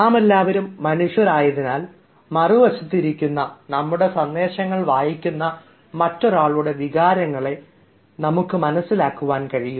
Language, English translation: Malayalam, we can understand the sentiments and emotions of the other person, who is sitting on the other side and who will be reading our messages